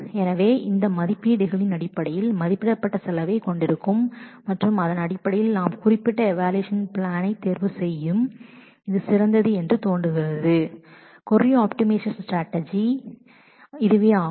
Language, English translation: Tamil, So, based on all these estimation which will have an estimated cost and based on that we will choose the particular evaluation plan which looks to be the best and that is the crux of the query optimization strategy